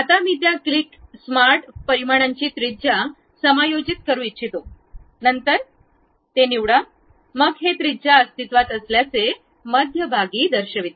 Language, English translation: Marathi, Now, I would like to adjust radius of that click smart dimension then pick that, then it shows the center from where this radius is present